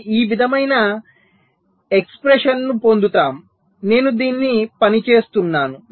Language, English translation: Telugu, so we get an expression like this i am just to working this out